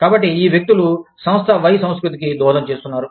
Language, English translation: Telugu, So, these people are contributing, to the culture of, Firm Y